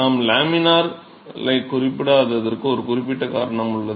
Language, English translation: Tamil, There is a particular reason why I did not mention laminar